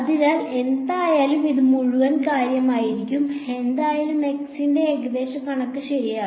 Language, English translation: Malayalam, So, anyway this was whole thing was anyway and approximation of x itself right